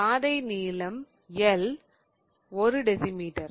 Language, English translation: Tamil, The path length, L is given as 1 decimeter